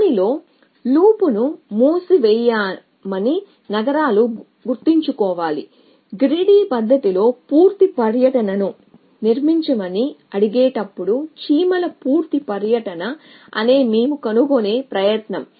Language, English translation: Telugu, Cities which will not close a loop in is remember the, that ask at we a try to find is complete tour the ants a so as at ask of constructing a complete tour in a Grady fashion